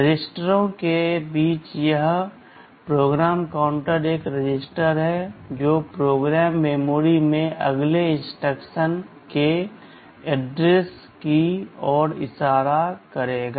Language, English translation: Hindi, Among the registers this PC is one register which will be pointing to the address of the next instruction in the program memory